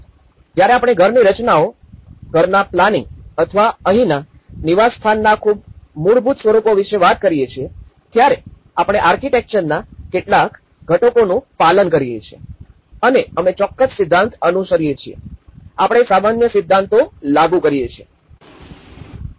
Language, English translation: Gujarati, When we talk about very basic form of house compositions, planning of a house or a dwelling here, we follow certain elements of architecture and we follow certain principle; we apply the principles of okay